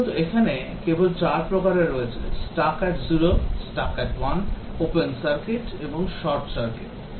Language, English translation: Bengali, Essentially, there are only 4 types; Stuck at 0, Stuck at 1, Open circuit, Short circuit